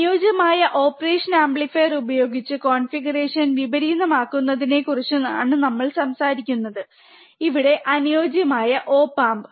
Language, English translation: Malayalam, Thus we are talking about inverting configuration using ideal operational amplifier, mind it, here ideal op amp